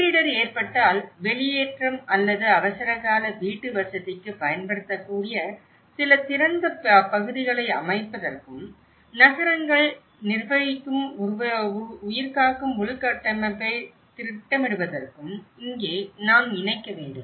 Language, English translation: Tamil, Here, we need to incorporate to set out some open areas that could be used for the evacuation or emergency housing, in case of disaster and to plan for lifeline infrastructure that cities manage